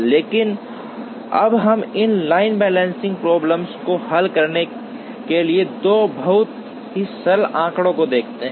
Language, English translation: Hindi, But, then we will look at two very simple heuristics to solve this line balancing problem